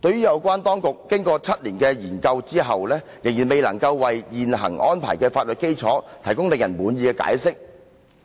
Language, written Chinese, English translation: Cantonese, 有關當局經過7年的研究後，仍未能為現行安排的法律基礎提供令人滿意的解釋。, After the seven - year examination the authorities can yet give a satisfactory explanation for the legal basis for the existing arrangement